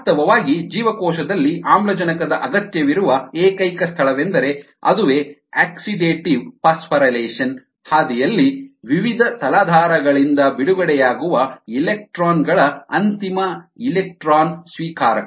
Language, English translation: Kannada, in fact, the only place where oxygen is required in the cell is as the final electronic acceptor ah of the electrons released by various ah substrates in the oxidative phosphour relation pathway